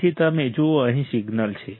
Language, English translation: Gujarati, So, you see here is the signal